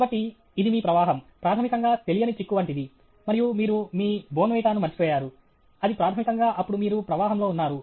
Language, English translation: Telugu, So, it is like your flow is, basically, like the unknown rider, and you forgot your Bournvita; that is basically then you are in flow okay